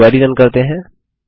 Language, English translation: Hindi, Now let us run the query